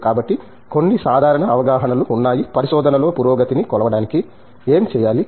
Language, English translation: Telugu, So, there are certain general perceptions on, how we are supposed to you know measure a progress in research